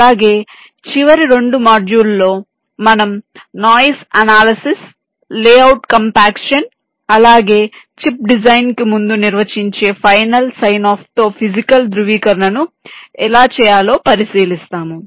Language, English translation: Telugu, then in the last two modules we shall be considering noise analysis, layout compaction, then physical verification with final sign off before the chip is designed